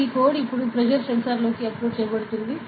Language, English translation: Telugu, So, this code will be uploaded into the pressure sensor now, ok